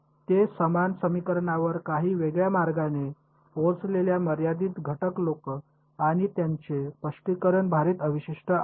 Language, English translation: Marathi, The finite element people they arrived at the same equation via slightly different route and their interpretation is weighted residual